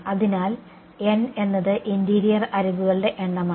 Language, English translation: Malayalam, So, n is the number of interior edges